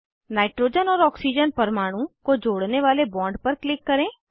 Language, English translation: Hindi, Click on the bond connecting nitrogen and oxygen atom